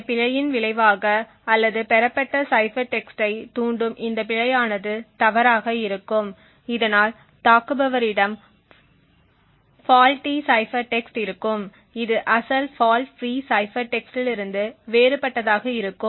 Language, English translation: Tamil, As a result of this error or this fault that is induced the cipher text that is obtained would be incorrect thus the attacker would have a faulty cipher text which looks different from the original fault free cipher text